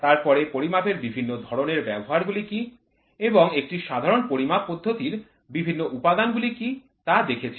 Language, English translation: Bengali, Then what are the different types of applications of measurement and what are the different elements of a generalized measuring system